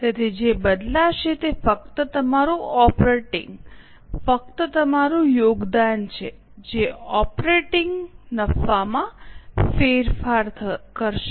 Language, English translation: Gujarati, So, what is going to change is only your contribution which will change the operating profit